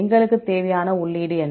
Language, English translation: Tamil, What are the input we require